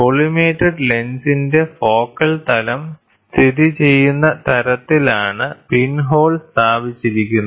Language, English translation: Malayalam, The pinhole is positioned in such a way in the focal plane of the collimated lens